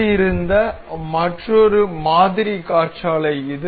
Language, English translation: Tamil, Another assembled model is the this windmill